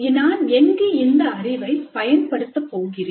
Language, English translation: Tamil, Where I am going to use this knowledge